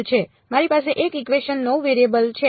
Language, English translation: Gujarati, I have got 1 equation 9 variables